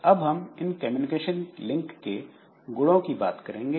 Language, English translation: Hindi, Then properties of this communication link